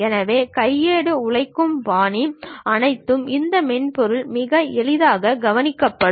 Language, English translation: Tamil, So, all that manual laborious task will be very easily taken care by this software